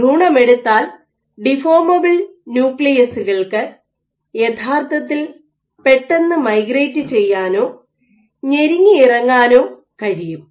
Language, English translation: Malayalam, So, for in an embryo we talk about an embryo, deformable nuclei could contribute, could actually migrate much faster or squeeze through much faster